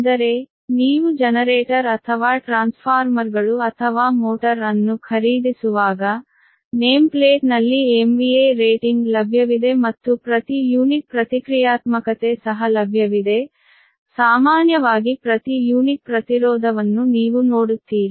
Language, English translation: Kannada, that means, ah, when you are buying a generator or transformers, right, or motor, you will see that on the name plate that m v a rating is available, and per unit reactance also, it is available, right, in general, per unit impedance, right